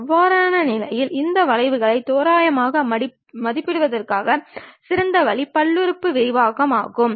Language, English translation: Tamil, In that case the best way of approximating this curve is by polynomial expansions